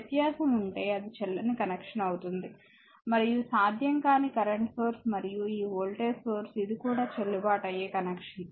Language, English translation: Telugu, If there is a difference is then that is invalid connection that is not possible and any current source and this voltage source this is also a valid connection